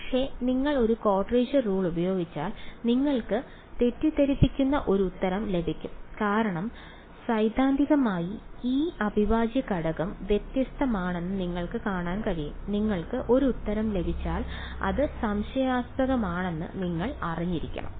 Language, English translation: Malayalam, But, as it is if you use a quadrature rule you will get a misleading answer because, theoretically you can see that this integral is divergent you should not you, if you get an answer you should know that it should be suspicious